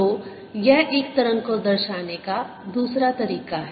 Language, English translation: Hindi, so this is another way of representing a wave